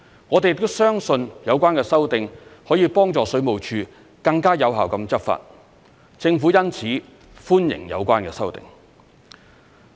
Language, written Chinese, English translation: Cantonese, 我們亦相信有關修訂可以幫助水務署更有效執法，政府因此歡迎有關修訂。, We also believe that the amendment can assist the Water Supplies Department WSD in more effective law enforcement . Thus the Government welcomes the amendment